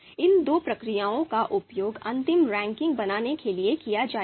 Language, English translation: Hindi, So these two procedures are actually going to be used to produce a final ranking